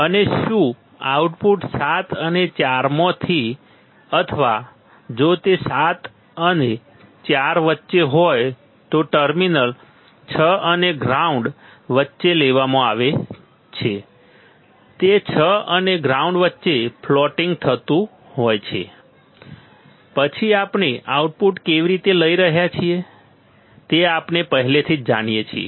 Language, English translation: Gujarati, And whether the output is taken from the 7 and 4 or between the terminal 6 and ground if it is between 7 and 4; it is floating in 6 and ground, then we already know how we are taking the output